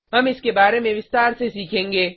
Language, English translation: Hindi, We will learn about this in detail